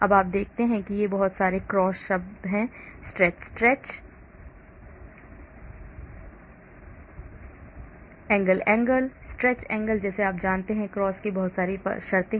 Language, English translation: Hindi, now you see there are lot of cross terms in there, stretch stretch, angle angle, stretch angle like that you know, lot of cross terms